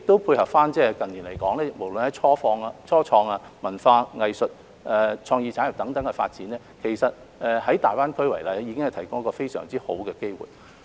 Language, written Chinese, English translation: Cantonese, 配合近年無論是初創、文化、藝術或創意產業等方面的發展，其實大灣區已提供非常好的機會。, GBA has indeed provided excellent opportunities for the development of start - ups or culture arts and creative industries over the past few years